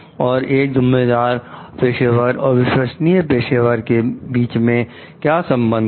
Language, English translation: Hindi, And what is the relationship between being a responsible professional and being a trustworthy professional